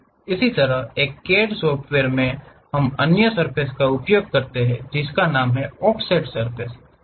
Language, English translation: Hindi, Similarly, at CAD CAD software, we use other variety of surfaces, named offset surfaces